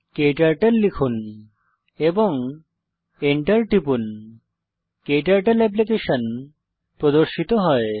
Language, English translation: Bengali, Type KTurtle and press enter, KTurtle Application opens